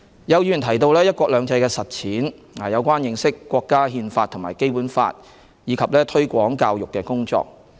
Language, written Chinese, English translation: Cantonese, 有議員提到"一國兩制"的實踐、有關認識國家《憲法》及《基本法》，以及推廣教育的工作。, Some Members mentioned the implementation of one country two systems the understanding of the countrys Constitution and the Basic Law as well as promotion and education